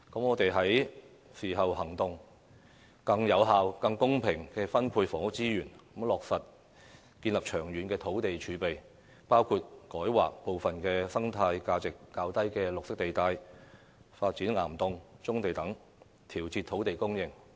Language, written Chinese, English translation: Cantonese, 我們是時候行動，更有效和更公平地分配房屋資源，以落實建立長遠的土地儲備，包括改劃部分生態價值較低的綠化地帶，以及發展岩洞和棕地等，以調節土地供應。, It is time to take actions . We need to distribute the housing resources more effectively and fairly so as to build up a long - term land reserve which includes changing the use of some green belt areas with low ecological value and develop rock cavern and brownfield sites in order to adjust the land supply